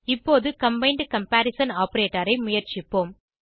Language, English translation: Tamil, Now lets try the combined comparision operator